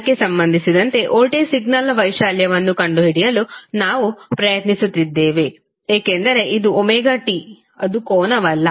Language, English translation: Kannada, Now what we are doing in this figure we are trying to find out the amplitude of voltage signal with respect to angle because this is omega T that is nothing but angle